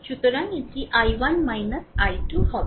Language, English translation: Bengali, So, it is i 1